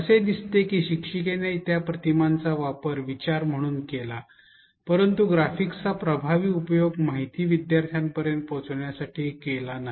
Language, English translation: Marathi, It seems as if the teacher used the images as an afterthought, the graphics have has not been used effectively to convey the information to the students